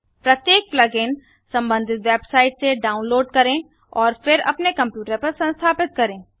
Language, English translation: Hindi, Each plug in has to be downloaded from the relevant website and then install on your computer